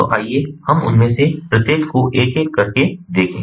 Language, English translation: Hindi, so let us look at each of them one by one